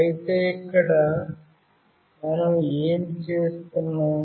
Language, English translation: Telugu, But here what we are doing